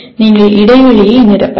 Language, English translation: Tamil, And you can fill the gap